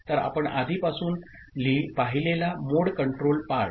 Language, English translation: Marathi, So, the mode control part we have already seen